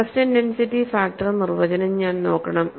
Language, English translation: Malayalam, I have to invoke the definition of stress intensity factor